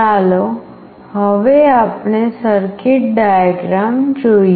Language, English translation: Gujarati, Let us now look into the circuit diagram